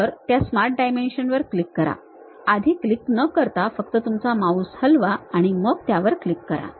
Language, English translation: Marathi, So, click that Smart Dimension click that, just move your mouse without any click then click that